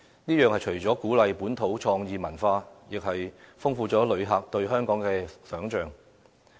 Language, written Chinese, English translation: Cantonese, 此舉除了鼓勵本土創意文化外，亦豐富了旅客對香港的想象。, This initiative surely helps boost a local culture of creativity while enriching visitors imagination